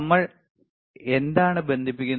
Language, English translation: Malayalam, So, what we are connecting